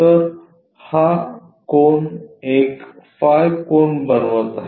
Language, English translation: Marathi, So, that this angle is going to make phi angle